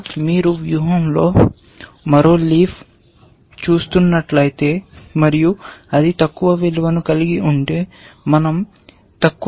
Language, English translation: Telugu, And if you are looking at one more leaf in the strategy, and if it has a lower value, we must keep the lower value